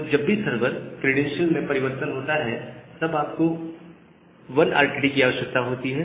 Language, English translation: Hindi, So, whenever the server credential gets changed, you require a 1 RTT handshake